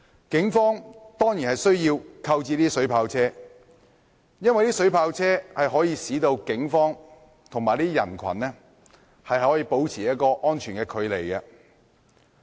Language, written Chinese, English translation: Cantonese, 警方當然有需要購置水炮車，因為水炮車可以使警方與人群保持安全的距離。, The Police certainly needs to purchase vehicles equipped with water cannons because such vehicles can keep a safe distance between the policemen and the crowd